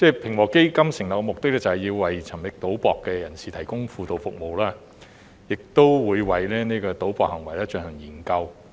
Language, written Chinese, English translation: Cantonese, 平和基金成立的目的，是要為沉迷賭博的人士提供輔導服務，亦會為賭博行為進行研究。, The objectives of establishing the Ping Wo Fund are to provide counselling services to gambling addicts and conduct studies on gambling behaviour